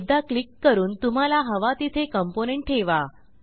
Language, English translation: Marathi, Now click once to place the component wherever required